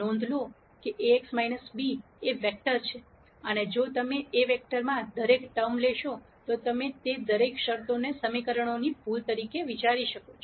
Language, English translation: Gujarati, Notice that Ax minus b is a vector and if you take each term in that vector you can think of each of those terms as an error in an equation